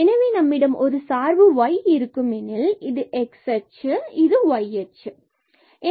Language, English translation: Tamil, So, let us consider here we have the function y so, this is x axis and this is your y axis